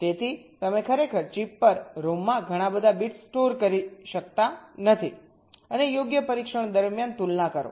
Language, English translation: Gujarati, so you really cannot store so many bits () in rom on chip and compare during testing, right